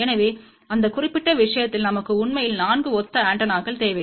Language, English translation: Tamil, So, in that particular case we actually need 4 identical antennas